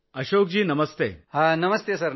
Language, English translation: Marathi, Ashok ji, Namaste